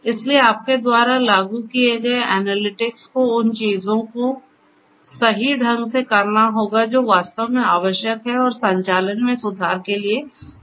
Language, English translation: Hindi, So, your analytics that you implement will have to do the things correctly based on what is actually required and is suitable for improving the operations